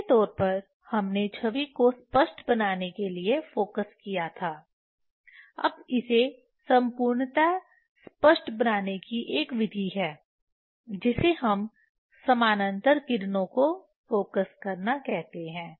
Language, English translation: Hindi, Roughly we focused to make the image sharp now there is a method to make it perfectly that we are telling focusing for parallel rays Two alternative method one can use